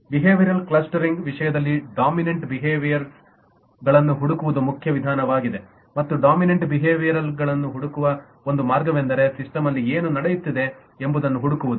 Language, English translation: Kannada, in terms of the behavioural clustering, the main approach is to look for dominant behaviours and one way to look for dominant behaviour is to look for what happens in the system, what takes place in the system